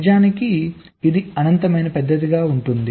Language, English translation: Telugu, in fact it can be infinitely large